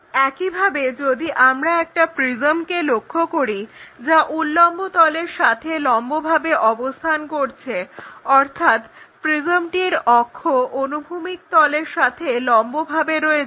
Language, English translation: Bengali, Similarly, if we are looking at a prism perpendicular to vertical plane, so, axis of the prism is perpendicular to vertical plane